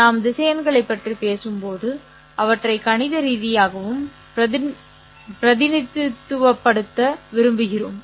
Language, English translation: Tamil, How do we represent vectors mathematically